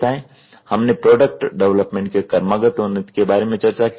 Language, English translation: Hindi, We were also looking at evolution of product development